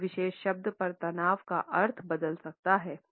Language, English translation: Hindi, Stress on a particular word may alter the meaning